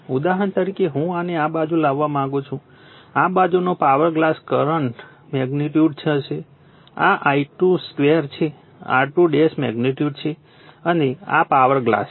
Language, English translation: Gujarati, For example, I want to bring this one this side this side my power glass will be the current magnitude this is I 2 square is the magnitude in to R 2 to this is a power glass, right